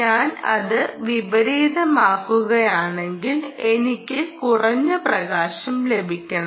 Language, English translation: Malayalam, if i reverse it, i should get low light